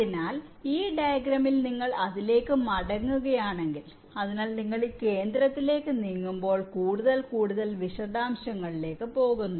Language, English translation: Malayalam, so in this diagram, if you come back to it, so as you move towards this center, your going into more and more detail